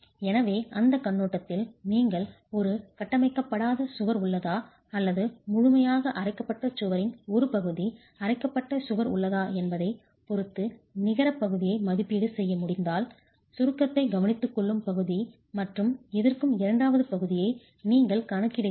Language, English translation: Tamil, So, from that perspective, if you can make an estimate of net area, depending on whether you have an ungrouted wall or a partially grouted wall or fully grouted wall, you are accounting for the part that is taking care of compression and the second part which is therefore tension but is also contributing to the compression resistance